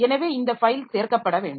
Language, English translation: Tamil, So, this file must be included